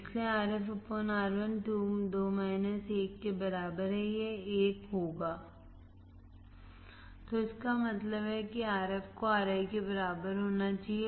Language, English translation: Hindi, So, we know that Rf /Ri will be equal to 1, because 1 plus Rf by Ri equals to 2